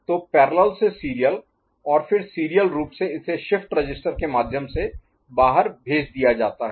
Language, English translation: Hindi, So, parallel to serial and then, serially it is pushed out through a shift register